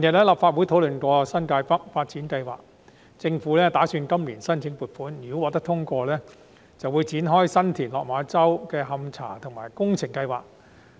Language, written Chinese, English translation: Cantonese, 立法會近日曾討論新界北發展計劃，政府亦打算今年申請撥款，如果撥款申請獲得通過，便會展開新田/落馬洲發展樞紐的勘查研究及工程設計。, The Legislative Council has recently discussed the New Territories North development project and the Government intends to apply for funding this year . If the funding application is approved the investigation study and detailed design for the works of the San TinLok Ma Chau Development Node will commence